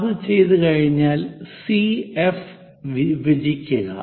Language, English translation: Malayalam, Once it is done, divide CF